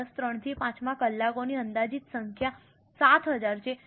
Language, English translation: Gujarati, In year 3 to 5 to 5, the estimated number of hours are 7,000